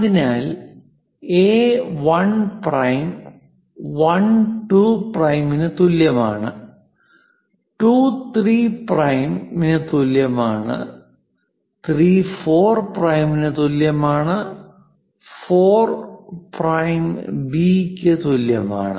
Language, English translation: Malayalam, So, A 1 prime equal to 1 2 prime; is equal to 2 3 prime; equal to 3 4 prime; equal to 4 prime B